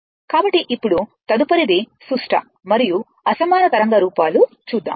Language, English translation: Telugu, So now, next is that symmetrical and unsymmetrical wave forms